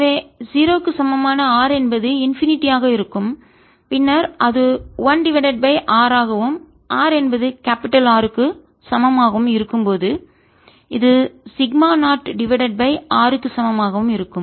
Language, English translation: Tamil, so at r equal to zero is going to be infinity, and then it decays as one over r and at r equal to capital r its going to be sigma naught over capital r